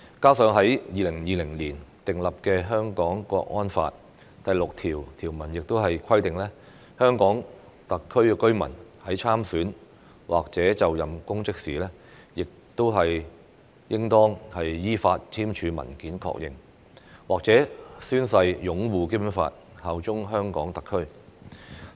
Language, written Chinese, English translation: Cantonese, 此外，在2020年訂立的《香港國安法》第六條亦規定，香港特區居民在參選或者就任公職時應當依法簽署文件確認或者宣誓擁護《基本法》、效忠香港特區。, In addition Article 6 of the National Security Law which was promulgated in 2020 also stipulates that a resident of HKSAR who stands for election or assumes public office shall confirm in writing or take an oath to uphold the Basic Law and swear allegiance to HKSAR in accordance with the law